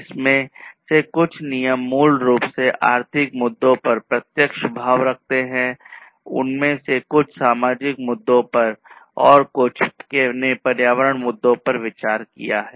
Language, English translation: Hindi, Some of these regulations are basically having direct impact on the economic issues, some of them have considerations of the social issues, and some the environmental issues